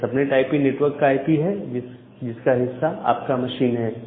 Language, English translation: Hindi, So, this subnet IP is the IP of the network on which your machine belongs to